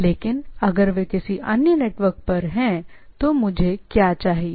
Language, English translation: Hindi, But however, if they are in the some other network then what I require